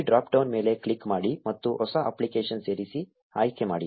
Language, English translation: Kannada, Click on this drop down and select ‘Add a New App’